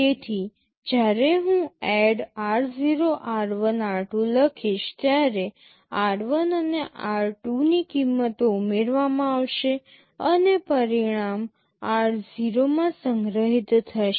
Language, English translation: Gujarati, So, when I write ADD r0, r1, r2 the values of r1 and r2 will be added and the result will be stored in r0